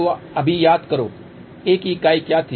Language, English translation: Hindi, So, just recall now, what was the unit of A